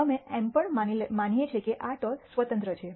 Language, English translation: Gujarati, We also assume that these tosses are independent